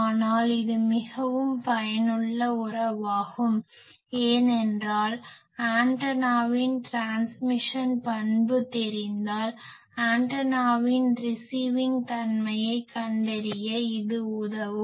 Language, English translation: Tamil, But this is a very useful relation because, if I know transmission characteristic of any antenna, this relates me to find the receiving characteristic of the antenna